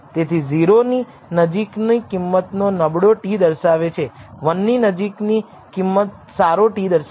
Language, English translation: Gujarati, So, values close to 0 indicates a poor t, values close to one indicates a good t, but the problem does not end there